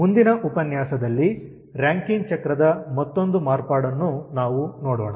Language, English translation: Kannada, we will see another modification of rankine cycle in the next lecture